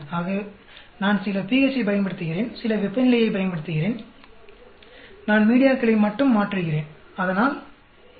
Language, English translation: Tamil, So, if I am using some pH, am using some temperature, I am just changing media so A